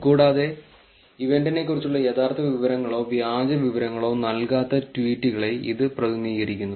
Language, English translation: Malayalam, And it represents tweets which neither gives any true information or fake information about the event